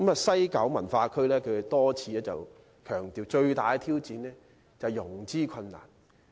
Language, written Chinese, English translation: Cantonese, 西九管理局已多次強調，最大的挑戰是融資困難。, WKCDA has stressed time and again that its greatest challenge is financing